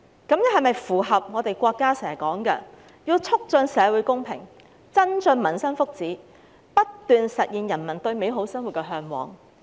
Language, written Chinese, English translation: Cantonese, 這樣是否符合國家經常說要"促進社會公平，增進民生福祉，不斷實現人民對美好生活的嚮往"？, Does this dovetail with promoting social justice enhancing peoples well - being and constantly realizing peoples aspirations for a better life as often advocated by the country?